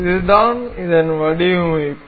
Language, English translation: Tamil, So, this is one design